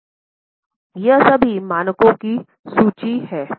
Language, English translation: Hindi, So, this is the list of all the standards